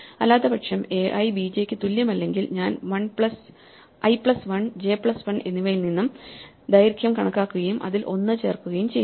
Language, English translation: Malayalam, If a i is not equal to b j, otherwise inductively I compute the length from i plus 1 and j plus 1 and add one to it